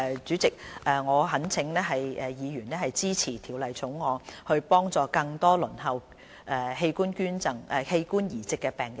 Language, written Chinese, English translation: Cantonese, 主席，我懇請議員支持《條例草案》，幫助更多輪候器官移植的病人。, President I implore Members to support the Bill with a view to assisting more patients who are waiting for organ transplant